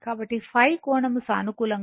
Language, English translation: Telugu, So, phi angle should be positive, right